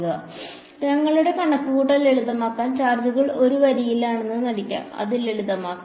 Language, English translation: Malayalam, So, just to make our calculation simple let us pretend that the charges are on one line, just to keep it simple